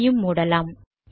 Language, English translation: Tamil, Lets close this